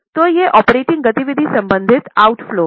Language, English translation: Hindi, So, they are your operating activity related outflows